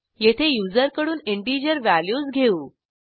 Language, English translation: Marathi, Here we accept integer values from the user